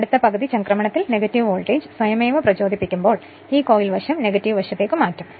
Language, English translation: Malayalam, As the next half cycle next half cycle when negative voltage will be induced automatically this coil side will be shifted to the negative your negative your negative side right